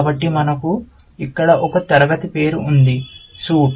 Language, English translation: Telugu, So, we have one class name here, suit